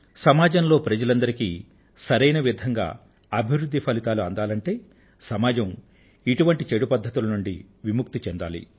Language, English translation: Telugu, In order to ensure that the fruits of progress rightly reach all sections of society, it is imperative that our society is freed of these ills